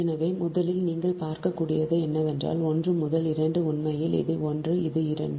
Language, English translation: Tamil, so, first, what you can, what you can see, is that one to two, actually this is one, this is two